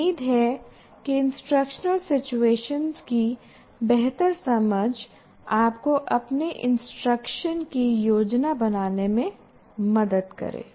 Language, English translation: Hindi, So, hopefully a better understanding of instructional situations and their requirements will help you to plan your instruction